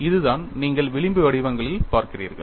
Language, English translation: Tamil, And that is what you see in the fringe patterns